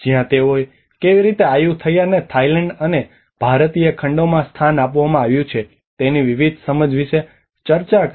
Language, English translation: Gujarati, Where they discussed about different understandings of the how Ayutthaya has been positioned both in Thailand and as well as in the Indian continent